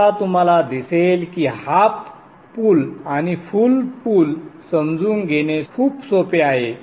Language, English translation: Marathi, Now you will see that it is very easy to understand the half bridge and the full bridge